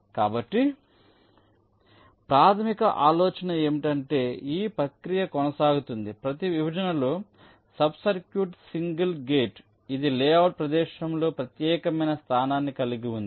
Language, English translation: Telugu, so the basic idea is that the process is continued till, let say, each of the partition sub circuit is single gate which has a unique place on the layout area